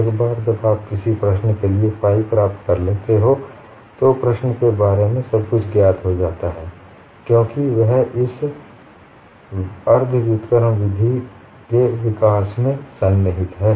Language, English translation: Hindi, Once you get the phi for a problem, everything about the problem is known, because that is embedded in the development of this semi inverse method